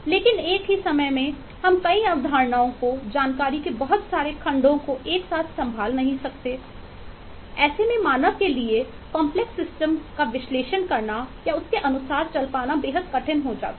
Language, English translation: Hindi, but at the same time we cannot handle too many concepts together, too many junks of information together, which makes it extremely difficult for human mind to be able to analyze eh or come to terms with the complex system and eh